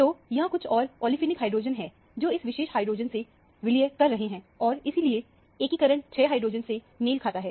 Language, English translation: Hindi, So, there is some other olefinic hydrogen, which is merging with this particular hydrogen and that is why the integration corresponds to 6 hydrogen